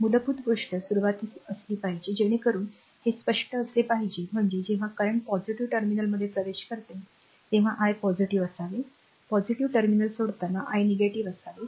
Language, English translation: Marathi, So, basic thing should be initially it should be clear right so; that means, when current entering to the positive terminal i should be positive, when current leaving the your positive terminal i should be negative